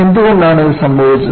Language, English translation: Malayalam, So, why this has happened